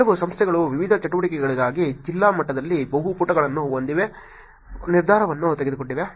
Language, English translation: Kannada, Some organizations have taken the decision of having multiple pages for at the district level for different activities